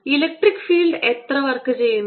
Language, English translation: Malayalam, how much work does the electric field do